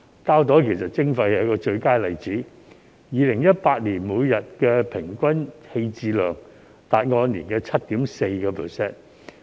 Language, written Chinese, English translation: Cantonese, 膠袋徵費就是最佳例子 ，2018 年膠袋每天平均棄置量佔 7.4%。, The plastic bag levy is the best example . In 2018 plastic bags accounted for 7.4 % of the average daily disposal quantity